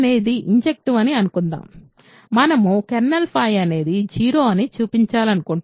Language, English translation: Telugu, Suppose, phi is injective; we want to show kernel phi is 0 ok